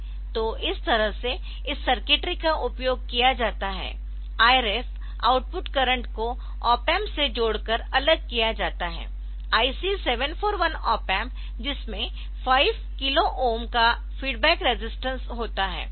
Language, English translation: Hindi, So, I ref output current is isolated by connecting it to an op amp for example, IC 741 op amp with a feedback resistance of 5 kilo ohms for the